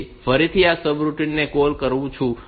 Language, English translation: Gujarati, So, again I call this routine